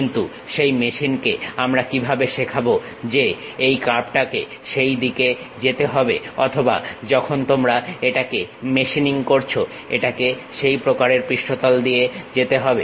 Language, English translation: Bengali, But, how will you teach it to that machine the curve has to pass in that way or the tool bit when you are machining it has to go along that kind of surface